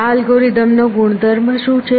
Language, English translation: Gujarati, What is the property of this algorithm